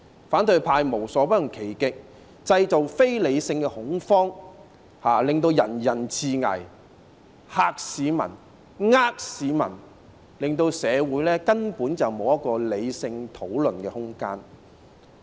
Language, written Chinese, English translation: Cantonese, 反對派無所不用其極，製造非理性恐慌，令人人自危，嚇市民、騙市民，令社會根本沒有理性討論的空間。, The opposition camp has by hook or by crook created irrational fears making everyone feel insecure . They have intended to scare and deceive members of the public depriving society of the room for rational discussion . As for violence we can all see it